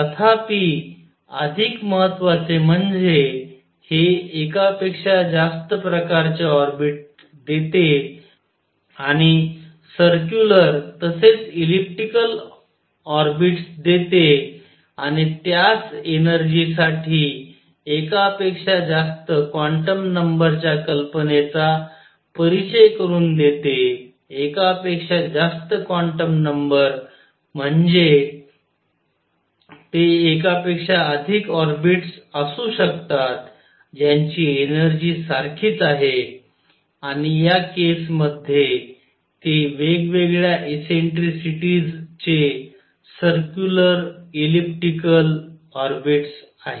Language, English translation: Marathi, More important however, is it gives more than one kind of orbit and circular as well as elliptic orbits and it introduces the idea of more than one quantum number for the same energy more than one quantum number means they could be more orbits than one orbit which has the same energy and in this case they happened to be circular elliptic orbits of different eccentricities